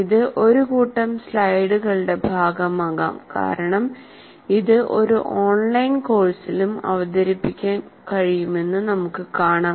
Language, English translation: Malayalam, It can be also as a part of a set of slides as we will see that can be presented in an online course as well